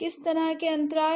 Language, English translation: Hindi, So, what kind of gaps